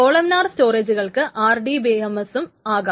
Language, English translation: Malayalam, Columnar storage can be RDBMS